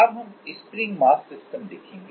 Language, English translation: Hindi, Now, we will see spring mass system